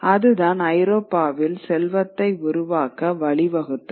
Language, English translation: Tamil, That is what led to the wealth creation in Europe